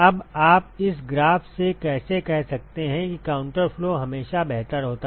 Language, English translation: Hindi, Now, how can you say from this graph that counter flow is always better